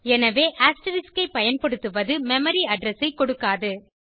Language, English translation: Tamil, So using asterisk will not give the memory address